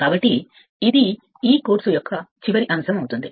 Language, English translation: Telugu, So, next this will be the last topic for this course